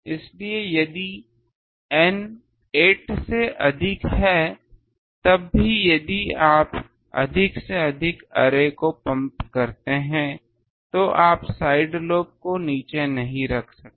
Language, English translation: Hindi, So, if N is greater than 8 then even if you go on pumping more and more arrays you cannot put the side lobe down